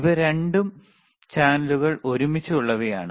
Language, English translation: Malayalam, And this is these are both channels together